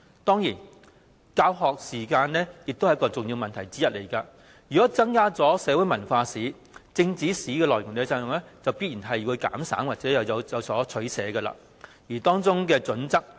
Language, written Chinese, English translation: Cantonese, 當然，教學時間也是一個重要問題，如果增加社會文化史，便必須減省政治史的內容及作出取捨，但當中的準則為何呢？, Surely teaching hours is also an important issue . The inclusion of social history and cultural history will mean a reduction of the contents of political history; and what are the criteria for the selection?